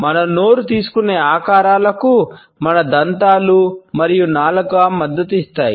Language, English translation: Telugu, The shapes which our mouth takes are also supported by our teeth and our tongue